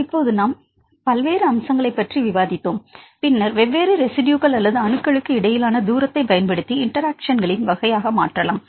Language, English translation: Tamil, Now we discussed various aspects then we can also use the distance between the different residues or atoms to convert into the type of interactions